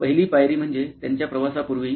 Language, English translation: Marathi, The first step to see is before their journey